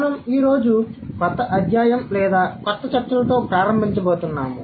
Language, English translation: Telugu, We are going to start with a new unit or a new set of discussion today